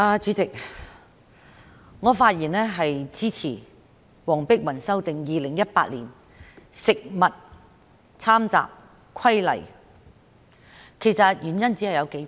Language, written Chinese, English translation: Cantonese, 主席，我發言支持黃碧雲議員就修訂《2018年食物攙雜規例》提出的議案，原因只有數點。, President I rise to speak in support of the motion moved by Dr Helena WONG to amend the Food Adulteration Amendment Regulation 2018 only for a few reasons